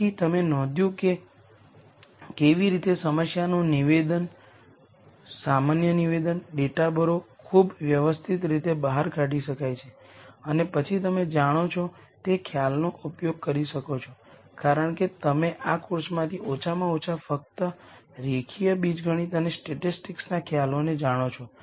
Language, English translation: Gujarati, So, you notice how a general statement of a problem, fill in data, can be eshed out in a very systematic way and then you can use concepts that you know, right now since you know from this course at least only concepts from linear algebra and statistics